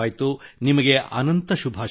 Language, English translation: Kannada, Many best wishes to you